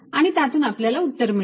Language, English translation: Marathi, that should give me the answer